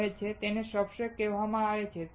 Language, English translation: Gujarati, It is called substrate